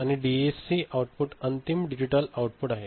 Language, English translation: Marathi, And this is the DAC output and this is final digital output